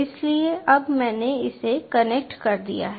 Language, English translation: Hindi, so now connected this